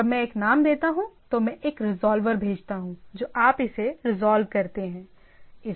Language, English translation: Hindi, That when I give a name I send a resolver that you resolve it